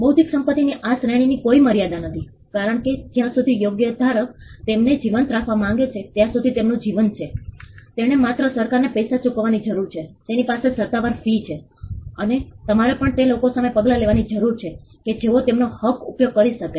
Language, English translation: Gujarati, There is no limit to this category of intellectual property because, their life is as long as the right holder wants to keep them alive; he just needs to pay money to the government has official fee and you also needs to take action against people who may use its right